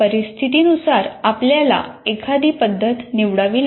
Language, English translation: Marathi, Depending on the situation, you want to use a method